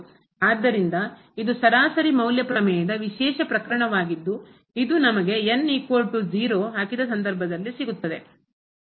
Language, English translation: Kannada, So, this is a special case of the mean value theorem which we have seen just by putting is equal to 0 in this case